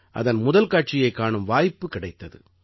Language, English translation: Tamil, I got an opportunity to attend its premiere